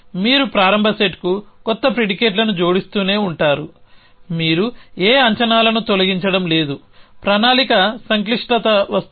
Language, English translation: Telugu, You keep adding new predicates to the start set you are not deleting any predicates the complexity of planning comes